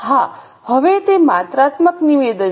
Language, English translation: Gujarati, Yes, now it is a quantitative statement